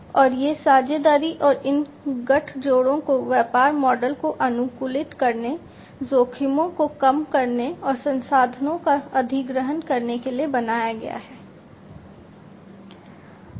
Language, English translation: Hindi, And these partnerships and these alliances will be created to optimize the business models, to reduce the risks, and to acquire the resources